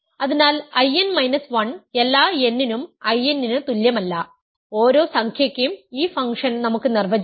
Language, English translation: Malayalam, So, I n minus 1 is not equal to I n for all n, we can define this function for every integer at least one